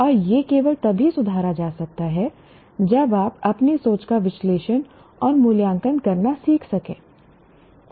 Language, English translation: Hindi, And that can only be improved if you are able to learn how to analyze and evaluate your own thinking